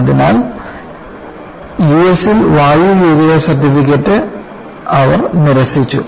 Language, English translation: Malayalam, So, they refused air worthiness certificate in the U S